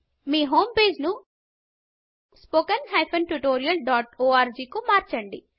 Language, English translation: Telugu, Change your home page to spoken tutorial.org